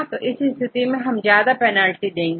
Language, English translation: Hindi, In this case we give more penalty right